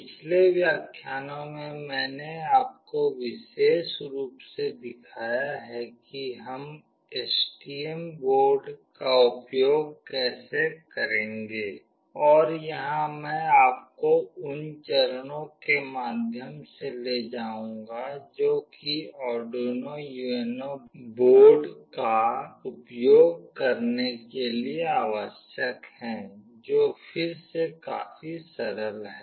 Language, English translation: Hindi, In the previous lectures I have specifically shown you how we will be using STM board and here I will take you through the steps that are required to use Arduino UNO board, which is again fairly very straightforward